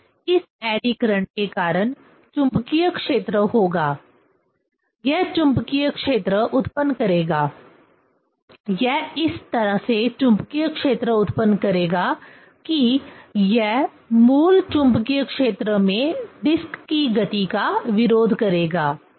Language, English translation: Hindi, And due to this eddy current, there will be magnetic field; it will generate magnetic field; it will generate magnetic field in such a way, it will oppose; it will oppose the motion of the disc in the original magnetic field